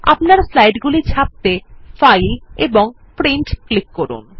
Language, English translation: Bengali, To take prints of your slides, click on File and Print